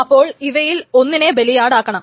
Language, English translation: Malayalam, So, one of them must be made a victim